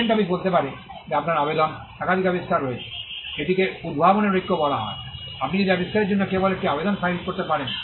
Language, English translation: Bengali, The patent office may say that your application has more than one invention; this is called the unity of invention, that you can file only one application per invention